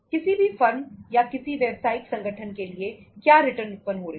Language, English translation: Hindi, What returns is generating to any firm any business organization